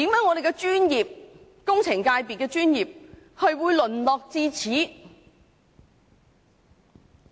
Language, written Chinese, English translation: Cantonese, 為何香港工程界的專業會淪落至此。, How come the engineering profession of Hong Kong has degenerate to such a state?